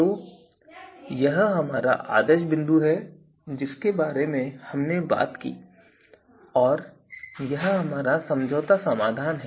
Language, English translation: Hindi, So, this is the our ideal point so that we talked about and this is our compromise solution